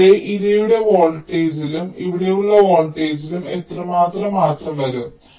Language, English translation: Malayalam, so how much will be the corresponding change in the victim volt here, the voltage here